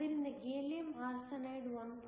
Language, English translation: Kannada, So, this is Gallium Arsenide